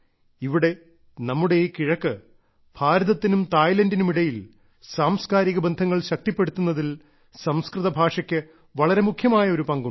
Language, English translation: Malayalam, Sanskrit language also plays an important role in the strengthening of cultural relations between India and Ireland and between India and Thailand here in the east